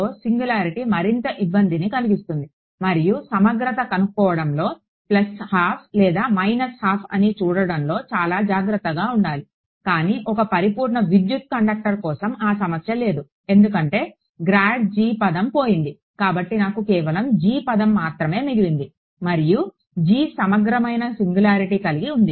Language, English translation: Telugu, The singularity cause more of a trouble with grad g dot n hat and to be very careful how are integrated I got a plus half or minus half, but for a perfect electric conductor that problem is not there because the grad g term is gone away I am just left with g and g had a singularity which was integrable ok